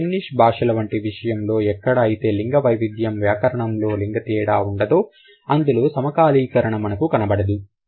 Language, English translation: Telugu, But in a language like Finnish where there is no gender difference or there is no gender distinction in grammar, hardly you would see the syncretism